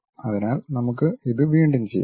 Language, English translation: Malayalam, So, let us do it once again